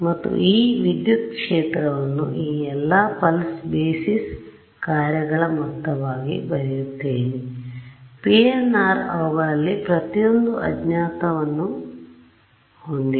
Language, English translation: Kannada, And, I write this electric field now as a summation over all of these pulse basis functions PNR each of them having an unknown weight u n right